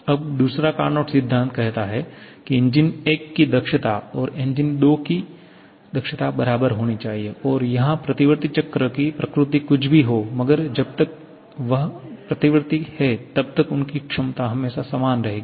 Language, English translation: Hindi, Now, the second Carnot principle says that efficiency of 1 and efficiency of 2 has to be equal and this whatever may be the nature of the reversible cycle as long as that is reversible, that efficiency will be always the same